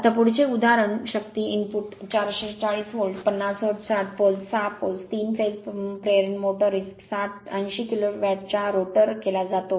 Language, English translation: Marathi, Now, next example the power input to the rotor of a 440 volt, 50 hertz 60 pole, 6 pole, your 3 phase induction motor is 80 kilo watt